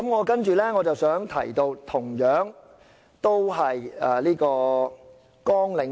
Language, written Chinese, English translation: Cantonese, 接着我想談及的同樣是綱領2。, Next I still wish to talk about Programme 2